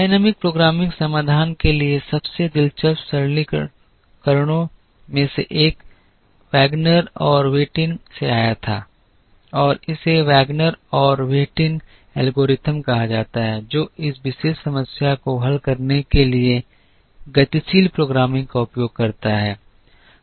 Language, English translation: Hindi, One of the most interesting simplifications to the dynamic programming solution came from Wagner and Whitin and it is called the Wagner and Whitin algorithm which uses dynamic programming to solve this particular problem